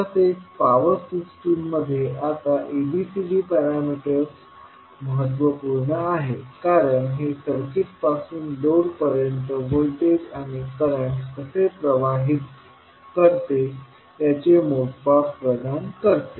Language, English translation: Marathi, Now ABCD parameter is very important in powered systems because it provides measure of how circuit transmits voltage and current from source to load